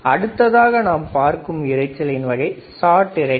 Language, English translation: Tamil, Now, let us see another noise called shot noise, shot noise